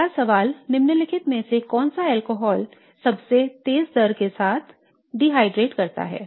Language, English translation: Hindi, The next question is which of the following alcohol dehydrates with the fastest rate